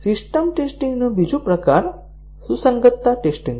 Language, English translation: Gujarati, Another type of system testing is the compatibility testing